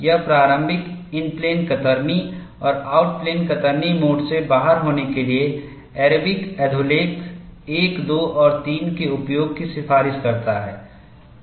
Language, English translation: Hindi, It recommends the use of Arabic subscripts, 1, 2 and 3 to denote opening, in plane shear and out of plane shear modes